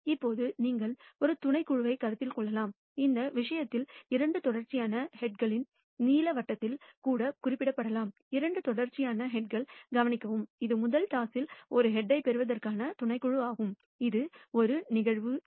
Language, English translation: Tamil, Now you can consider a subset, in this case even be denoted by the blue circle of two successive heads notice two successive heads it is a subset of receiving a head in the first toss which is A event A